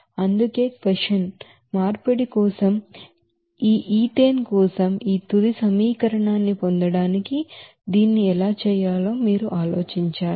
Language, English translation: Telugu, This is why convention, you have to think about how to do this to get this final equation for this ethane for conversion